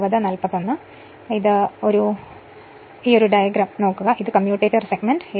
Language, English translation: Malayalam, So, this is actually your what you call some kind of diagram this is the commutator segment